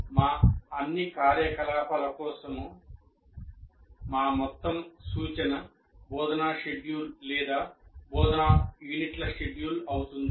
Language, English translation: Telugu, So our entire reference for all our activities will be the instruction schedule or the schedule of instructional units